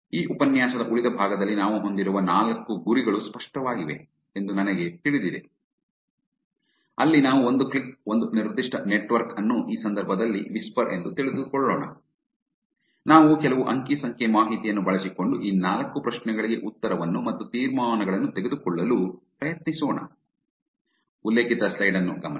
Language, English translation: Kannada, I know that is clear those are the four goals that we have for the rest of this lecture where we will take one click one particular network in this case whisper, we will actually try an answer for these four questions using some data, using some inferences that we draw